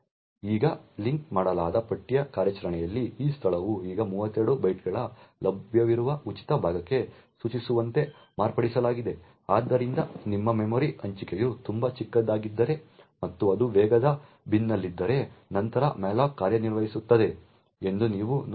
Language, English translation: Kannada, Now there is the linked list operation wherein this location is now modified so as to point to the next available free chunk of 32 bytes, so you see that if your memory allocation is very small and it happens to be in the fast bin then malloc works very quickly